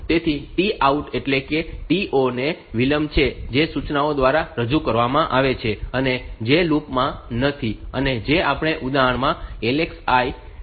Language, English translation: Gujarati, So, T out, T o that is the delay what is introduced by the instructions which are not in the loop that is we do to the LXI in this example